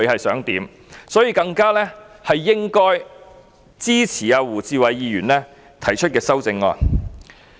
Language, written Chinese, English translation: Cantonese, 所以，我們更應支持胡志偉議員提出的修正案。, Hence we should more than ever support the amendment proposed by Mr WU Chi - wai